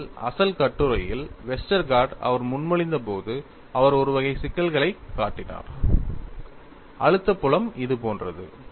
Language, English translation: Tamil, ; aAnd in fact, in the original paper, Westergaard when he proposed, he showed for a class of problems, the stress field is like this; this is very generic